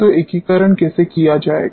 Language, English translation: Hindi, So, how integration will be done